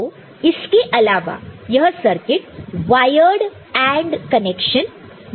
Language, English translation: Hindi, So, other than that we know that it can offer wired AND connection also